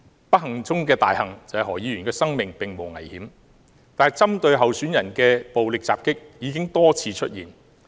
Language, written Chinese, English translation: Cantonese, 不幸中的大幸是，何議員的生命並無危險，但針對候選人的暴力襲擊已經多次出現。, Fortunately despite his misfortune his injury is not life - threatening . But there have been repeated violent attacks at candidates